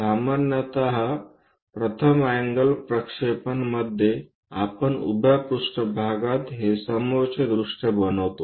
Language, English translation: Marathi, Usually in first angle projection we construct this front view on the vertical plane